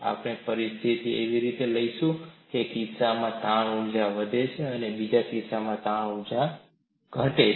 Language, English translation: Gujarati, We would take up situations in a manner that, in one case strain energy increases, in another case strain energy decreases